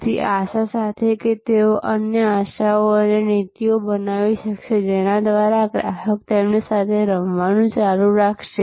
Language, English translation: Gujarati, With the hope that they will be able to create other hopes and policies by which the customer will continue to play with them